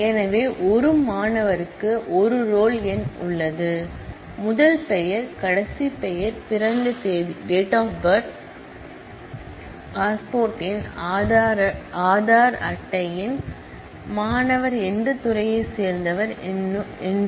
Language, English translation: Tamil, So, there is a roll number for a student, there is a first name last name, the date of birth; DOB, the passport number, the Aadhaar card number, the department to which the student belongs and so on